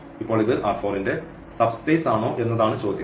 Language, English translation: Malayalam, Now, the question is whether this is a subspace of the R 4 or not